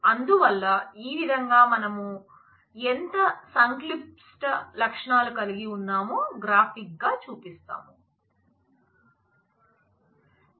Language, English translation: Telugu, So, this is how graphically we show that how complex attributes feature